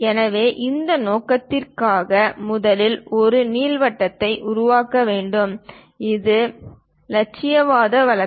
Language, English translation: Tamil, So, for that purpose, first of all, one has to construct an ellipse, this is the idealistic case